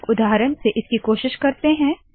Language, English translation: Hindi, Let us try with an example